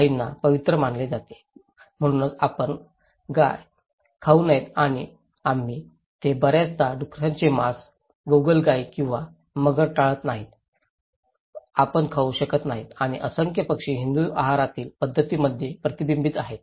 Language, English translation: Marathi, Cows are considered to be sacred thatís why you should not eat cow and we and they often avoid the pork, no snails or crocodiles, you cannot eat and numerous birds are restricted in Hindu dietary practices